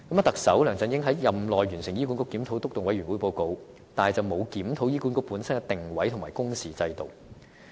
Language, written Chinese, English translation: Cantonese, 特首梁振英在任內完成了醫管局檢討督導委員會的報告，但卻沒有檢討醫管局本身的定位和工時制度。, Chief Executive LEUNG Chun - ying has the Report of the Steering Committee on Review of Hospital Authority completed within his term yet the positioning and working hours system of HA itself have not be reviewed